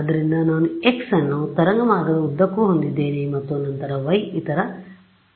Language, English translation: Kannada, So, I have x is along the waveguide and then y is the other axis right